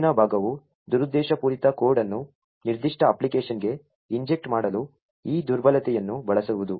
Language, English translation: Kannada, The next part is to use this vulnerability to inject malicious code into that particular application